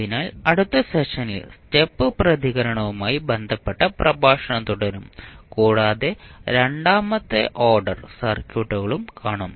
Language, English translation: Malayalam, So, in the next lecture we will continue our lecture related to step response and we will also see the second order circuits also